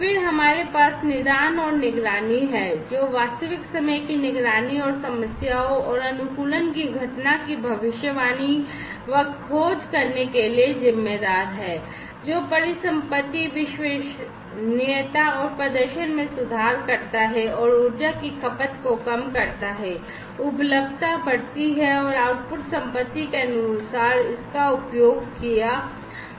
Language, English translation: Hindi, Then we have the diagnostics and monitoring, which is responsible for real time monitoring, and enabling detection, and prediction of occurrence of problems and optimization, which improves asset reliability and performance, and reducing the energy consumption, increasing availability, and the output in accordance to the assets, that are being used